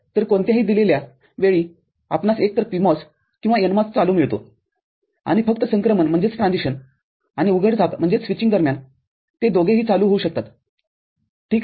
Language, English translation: Marathi, So, at any given point of time we have got either a PMOS or NMOS on and only during in a transition or the switching, both of them can become on, ok